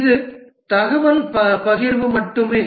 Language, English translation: Tamil, This is only information sharing